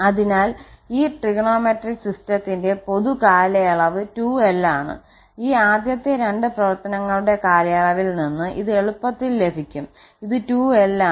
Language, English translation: Malayalam, So, the common period of this trigonometric system is 2l, this can be easily obtained from the period of this first two functions which is 2l